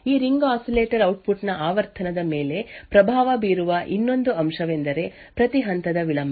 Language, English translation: Kannada, Another aspect which influences the frequency of this ring oscillator output is the delay of each stage